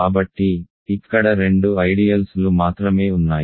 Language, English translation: Telugu, So, there are only two ideals here